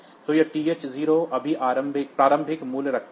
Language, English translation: Hindi, So, TH 0 just holds the initial value